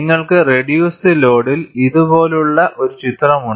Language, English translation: Malayalam, And at the reduced load, you have a picture like this